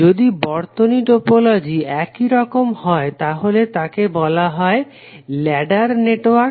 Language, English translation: Bengali, If the circuit topology is like this it is called a ladder network